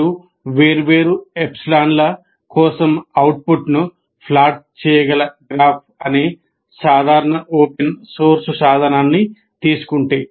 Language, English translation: Telugu, If you take a simple open source tool called graph, which can plot the curves, the output for different epsilon